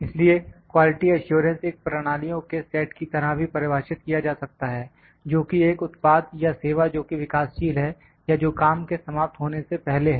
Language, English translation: Hindi, So, the quality assurance is defined may be defined as a procedure or set of procedure which are intended to ensure that a product or service that is under development that is before the work is complete